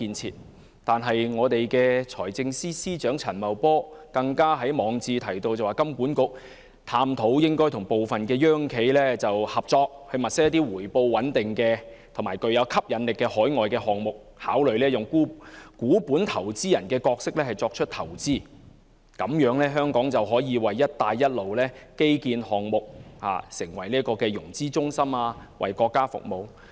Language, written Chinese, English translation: Cantonese, 此外，財政司司長陳茂波更在網誌提到，香港金融管理局應探討與部分"央企"合作，物色一些回報穩定及具吸引力的海外項目，考慮以股本投資人的角色作出投資，讓香港可以成為"一帶一路"基建項目的融資中心，為國家服務。, Moreover Financial Secretary Paul CHAN has mentioned in his blog article that the Hong Kong Monetary Authority HKMA should explore cooperation with some state - owned enterprises to jointly identify attractive overseas projects with stable returns and to consider investing in these projects as equity investors so that Hong Kong may become a financing centre for infrastructure projects under the Belt and Road Initiative and serve the country